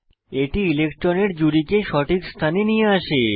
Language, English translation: Bengali, It moves the electron pair to the correct position